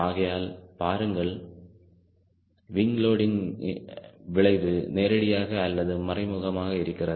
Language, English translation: Tamil, so we see that wing loading has direct or indirect so many affect